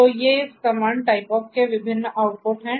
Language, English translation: Hindi, So, these are the different outputs of this comment type of